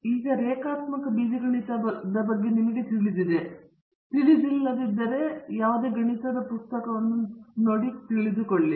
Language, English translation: Kannada, Now, if you are familiar with linear algebra, you will easily appreciate what I am going to say it